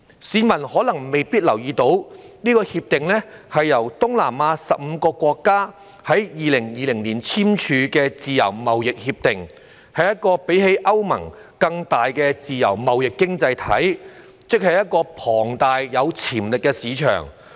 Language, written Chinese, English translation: Cantonese, 市民可能沒有留意，《協定》是東南亞15個國家在2020年簽署的自由貿易協定，是一個較歐盟更大的自由貿易經濟體系，即是一個龐大而有潛力的市場。, Members of the public may not be aware that RCEP is a free trade agreement signed by 15 Southeast Asian nations in 2020 and they will form a free trade economy larger than that of the European Union that is to say a huge market with potential